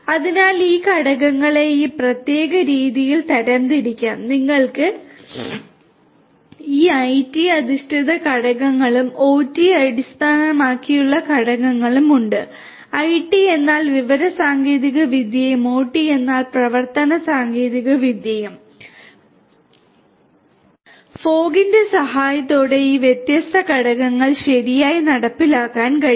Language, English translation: Malayalam, So, these factors if we look at can be classified in this particular manner, you have these IT based factors and the OT based factors, IT means information technology and OT means operational technology, these different factors with the help of fog can be implemented right